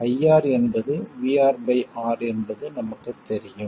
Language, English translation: Tamil, We know that IR is VR divided by R